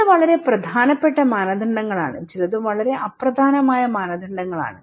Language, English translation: Malayalam, And some are very important norms, some are very unimportant norms